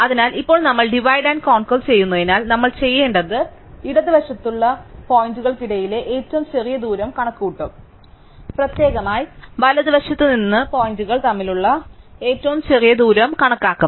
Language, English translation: Malayalam, So, now because of we divide and conquer thing what we will do is, we will compute the smallest distance among the points to the left, separately we will compute the smallest distance points from the right